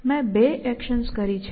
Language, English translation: Gujarati, I have done two actions